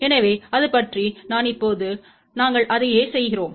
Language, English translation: Tamil, So, that is about it so, now, we do the exactly the same thing